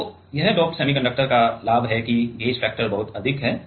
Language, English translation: Hindi, So, this is the advantage of doped semiconductor that the gauge factor is very high